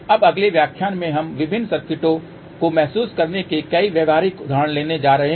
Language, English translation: Hindi, Now, in the next lecture we are going to take several practical examples of how to realize different circuits